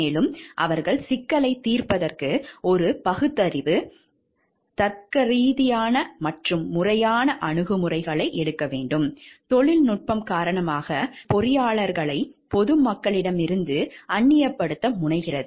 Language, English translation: Tamil, And they have to take a rational, logical and systematic approaches to problem solving; which tend to alienate engineer from the public because of the technicalities